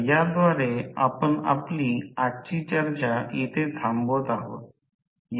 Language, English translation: Marathi, So, with this we can close our today’s discussion